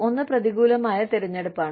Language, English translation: Malayalam, One is adverse selection